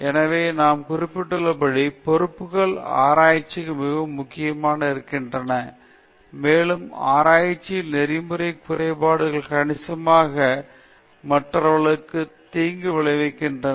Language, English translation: Tamil, So, as I mentioned, responsibilities so key term in research, and because ethical lapses in research can significantly harm other people